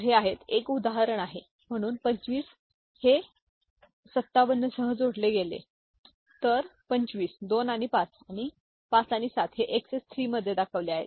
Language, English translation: Marathi, So, these are the, this is an example, so 25 is added with 57, so 25, 2 and 5, and 5 and 7 they are represented in XS 3